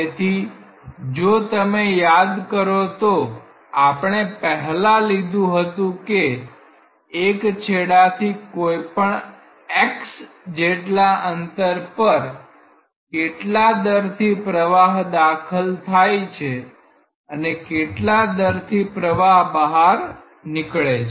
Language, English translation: Gujarati, So, if you recall that we earlier considered like at a distance say x from one end and we found that what is the rate of flow entering and rate of flow leaving